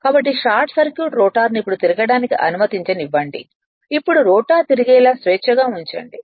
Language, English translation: Telugu, So, let the short circuit rotor be now permitted to rotate now you now you make it to free such that rotor will rotate